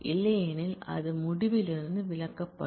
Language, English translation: Tamil, Otherwise it will be excluded from the result